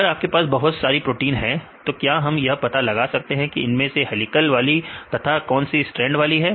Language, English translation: Hindi, If you have a pool of proteins, can we identify the proteins like which belong to the helical ones or which belong to the strand ones